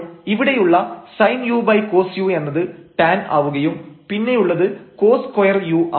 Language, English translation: Malayalam, So, here a sin u over cos u for tan and this is cos is square u